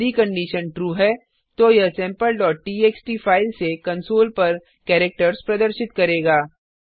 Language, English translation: Hindi, If the condition is true, then it will display the characters from Sample.txt file, on the console